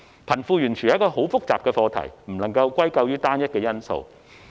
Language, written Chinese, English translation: Cantonese, 貧富懸殊是一個複雜的課題，不能歸咎於單一因素。, The disparity between the rich and the poor is such a complicated issue that we cannot put the blame on one single factor